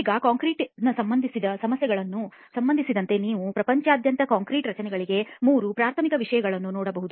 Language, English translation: Kannada, Now as far as the issues concerning concrete are concerned you can look at three issues as being very primary to the concrete structures all over the world